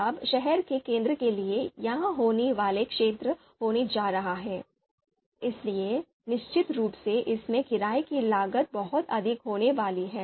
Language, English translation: Hindi, Now city center, it is going to be the happening area, so of course the renting cost is going to be much higher in this